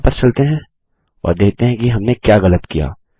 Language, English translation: Hindi, Lets go back and see what Ive done wrong